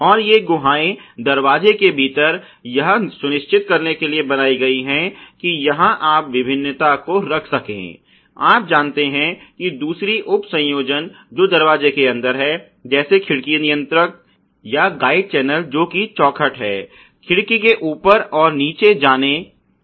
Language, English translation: Hindi, And these cavities are created within the inner of the door to ensure that you have access to placing the various, you know other sub assemblies with in this door like let say the, let say the window regulator or let us say the guide channel called the sash for the window to be able to go up and down